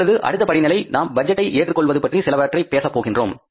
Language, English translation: Tamil, Now, next level we will talk about is something about the acceptance of the budget